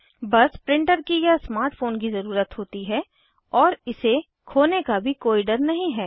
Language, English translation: Hindi, One needs a printer or a smart phone however, no worry about losing it